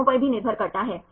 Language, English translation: Hindi, So, that depends